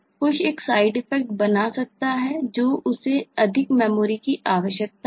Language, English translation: Hindi, push may create a side effect that more memory is needed